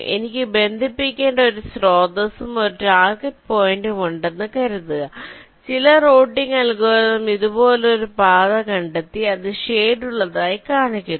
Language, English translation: Malayalam, laid you, as suppose i have a source and a target point which i have to connect and, let say, some routing algorithm has found out a path like this which is shown shaded